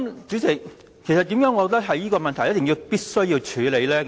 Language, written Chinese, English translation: Cantonese, 主席，為何我認為這問題必須處理呢？, President why do I consider it necessary to deal with this issue?